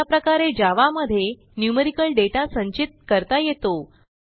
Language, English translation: Marathi, This is how you store numerical data in Java